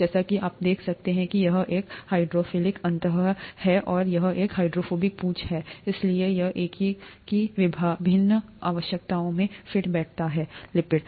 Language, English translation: Hindi, As you can see this is a hydrophilic end and this is a hydrophobic tail, so this fits into the various needs of a lipid